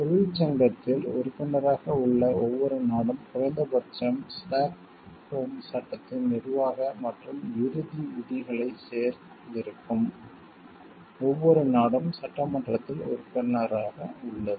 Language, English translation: Tamil, Every country that is a member of the union and has added to it at least the administrative and the final provisions of the Stockholm act is the member of the assembly